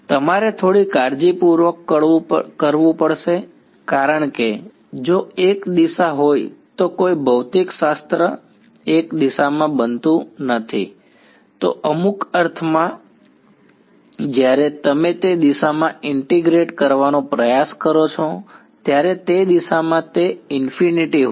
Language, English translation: Gujarati, You have to do a little carefully because if one direction there is no physics happening in one direction, in some sense there is an infinity in that direction when you try to integrate in that direction